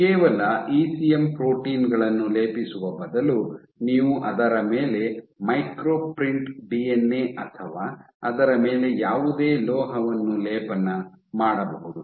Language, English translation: Kannada, So, and instead of coating just your ECM proteins you can also micro print DNA on it or any other metal on it